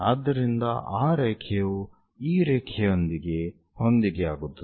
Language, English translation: Kannada, So, that line coincides with this line